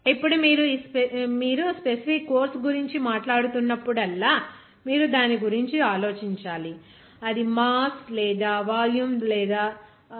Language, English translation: Telugu, Now, whenever you are talking about that specific of course you have to think about that that should be divided by mass or by volume